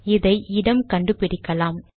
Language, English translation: Tamil, SO lets locate this